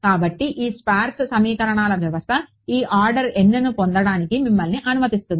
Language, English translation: Telugu, So, this sparse system of equations is what allows you to get this order n